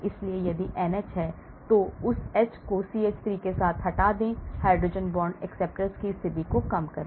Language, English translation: Hindi, So, if you have NH, remove that H with CH3, decrease hydrogen bond acceptor position